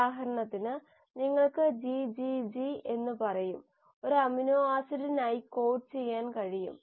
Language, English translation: Malayalam, For example you will have say GGG, can code for an amino acid